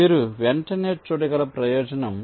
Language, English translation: Telugu, the advantage you can immediately see